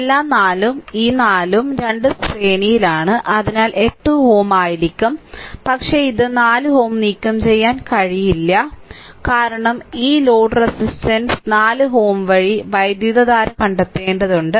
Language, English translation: Malayalam, All the 4 and this 4 and this 4, both are in series, so effective will be 8 ohm, but you cannot you cannot remove this 4 ohm because you have to find out the current through this load resistance 4 ohm right